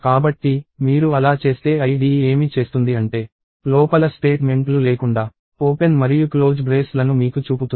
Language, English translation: Telugu, So, if you do that what the IDE does is it just shows you opening and closing braces without the statements inside